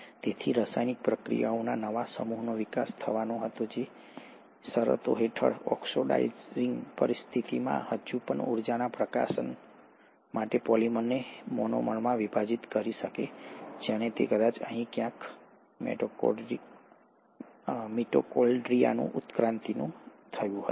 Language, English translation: Gujarati, So the new set of chemical reactions had to evolve which under these conditions, oxidizing conditions could still breakdown polymers into monomers for release of energy, and that is somewhere here probably, that the evolution of mitochondria would have happened